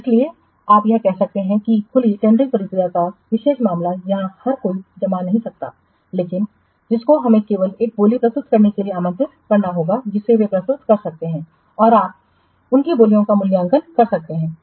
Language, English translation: Hindi, So, that's why this is a you can say that special case of open tending process where everybody cannot submit but to whom you have invited to submit the bid they can only submit and you can evaluate their Bids